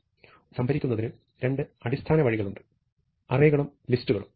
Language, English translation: Malayalam, So, there are two basic ways of storing a sequence as you know arrays and lists